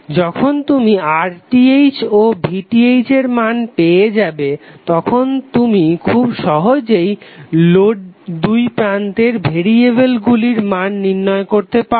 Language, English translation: Bengali, So When you get the values of RTh and VTh you can easily find out the variables across the load